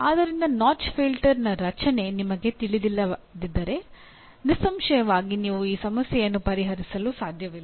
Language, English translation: Kannada, So if you do not know the structure of the notch filter, obviously you cannot solve this problem